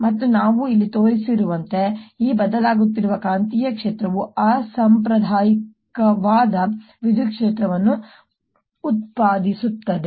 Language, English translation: Kannada, then, therefore, this changing magnetic field produces an electric field that is non conservative